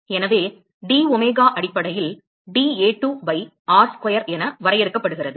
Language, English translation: Tamil, So, domega is essentially defined as dA2 by r square